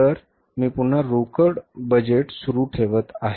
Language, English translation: Marathi, So, again I am continuing with the cash budget